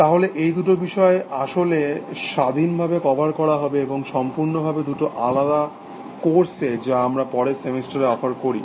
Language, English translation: Bengali, So, these two topics are actually covered independently, and completely in two different courses that we offer next semester